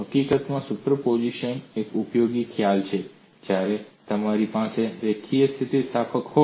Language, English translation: Gujarati, In fact superposition is a useful concept, when you have linear elasticity